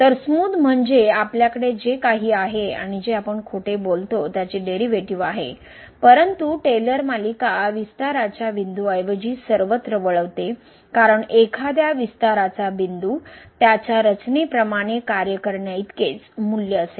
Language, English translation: Marathi, So, smooth means we have the derivatives of whatever or we lie, but the Taylor series diverges everywhere rather than the point of expansion, because a point of a expansion the series will have the value same as the function as per the construction so